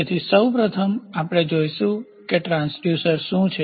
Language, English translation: Gujarati, So, first of all, we will see what is the transducer